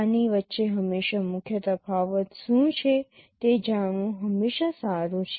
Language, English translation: Gujarati, It is always good to know what are the main differences between these